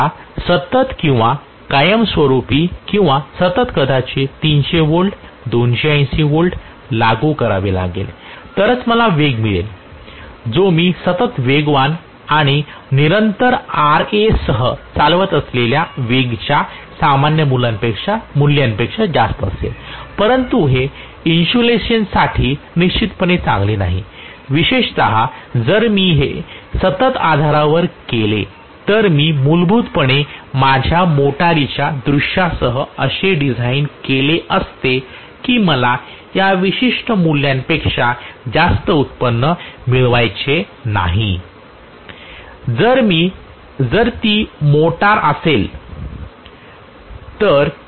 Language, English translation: Marathi, So I have to constantly or permanently apply or continuously apply maybe 300 volts 280 volts, only then I am going to get a speed which is higher than the normal values of speed that I operate upon with constant excitation and constant Ra, but this is definitely not good for the insulation especially if I do it on a continuous basis I would have basically designed my motor with the view point that I do not want it to generate more than this particular value, if it is a motor I do not want to apply more than this particular value